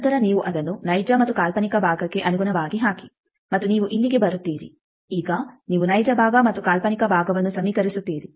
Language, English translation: Kannada, Then you put it in terms of the real and imaginary part and you come here, now you equate the real part and imaginary part